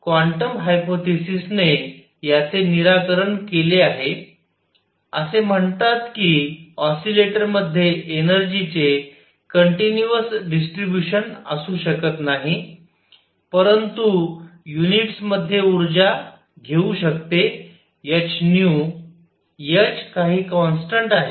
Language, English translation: Marathi, So, this is resolved by quantum hypothesis, it says that an oscillator cannot have continuous distribution of energy, but can take energy in units of h nu; h is some constant